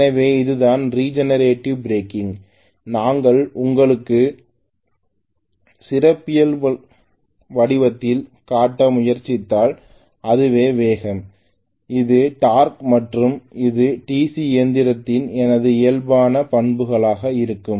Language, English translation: Tamil, So this is regenerator breaking, if I try to show you in the form of characteristics this is the speed, this is the torque and this is going to be my normal characteristics of the DC machine right